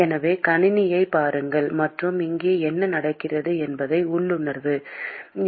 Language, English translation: Tamil, So, look at the system and intuit what is happening here